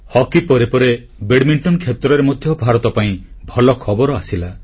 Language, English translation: Odia, After hockey, good news for India also came in badminton